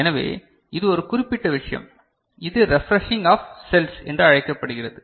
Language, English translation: Tamil, So, that is one particular thing and this is called refreshing of cells